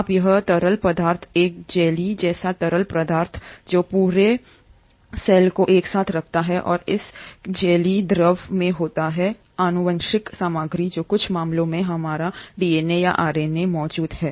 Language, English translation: Hindi, Now this is a fluid, a jelly like fluid which holds the entire cell together and it is in this jellylike fluid, the genetic material which is our DNA or RNA in some cases is present